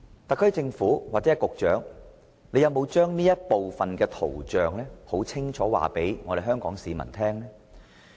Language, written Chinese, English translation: Cantonese, 特區政府或局長有否把這圖像清楚告知香港市民呢？, Has the SAR Government or the Secretary told Hong Kong people clearly about this picture?